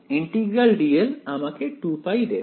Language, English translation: Bengali, Integral dl will just simply give me 2 pi